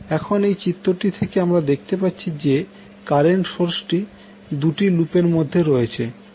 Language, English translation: Bengali, Now, from this figure you can see the current source which is there in the figure is coming between two loops